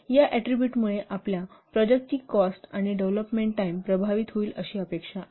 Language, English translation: Marathi, So these attributes are expected to affect the cost and development time of your product